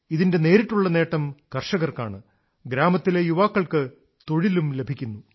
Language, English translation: Malayalam, This directly benefits the farmers and the youth of the village are gainfully employed